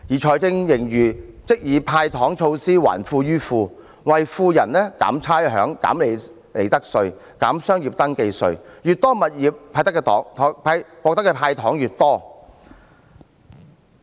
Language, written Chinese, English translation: Cantonese, 財政盈餘則以"派糖"措施，還富於富，為富人減差餉、減利得稅、減商業登記費，擁有越多物業，獲得的"糖"越多。, Through handing out sweeteners in respect of fiscal surplus the Government returns wealth to the wealthy by reducing rates profits tax and business registration fee . Consequently the more properties one owns the more sweeteners he gets